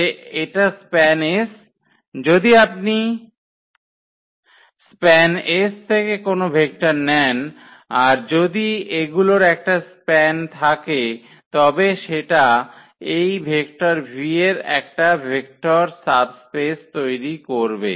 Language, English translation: Bengali, That this is span S; the span S you take any vectors, from a vector space and having the span of this these vectors that will form a vector subspace of that vector V